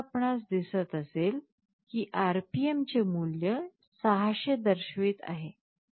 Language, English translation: Marathi, And now, you see the RPM value displayed is showing 600